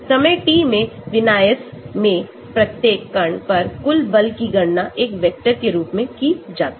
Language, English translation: Hindi, The total force on each particle in the configuration at time t is calculated as a vector